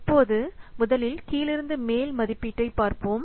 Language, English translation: Tamil, So now let's see about this top down estimation